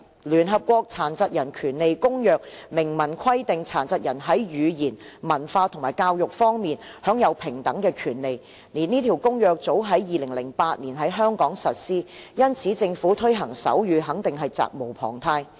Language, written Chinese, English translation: Cantonese, 聯合國《殘疾人權利公約》明文規定，殘疾人在言語、文化和教育方面享有平等權利，這公約早在2008年在香港實施，因此政府推動手語肯定是責無旁貸的。, The United Nations Convention on the Rights of Persons with Disabilities expressly states that persons with disabilities shall enjoy equal rights on the language culture and education fronts . The Convention has been in force in Hong Kong since 2008